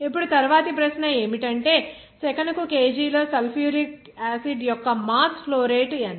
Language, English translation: Telugu, Now, the next question is what is the mass flow rate of sulfuric acid in kg per second